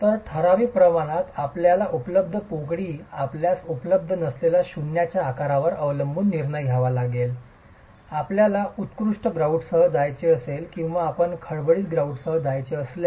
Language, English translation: Marathi, So, typical proportions you will have to take a decision depending on the available cavity, the size of the void that is available to you whether you want to go with a fine grout or you want to go with a coarse grout